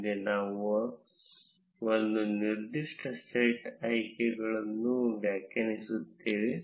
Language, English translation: Kannada, Next, we define a certain set of options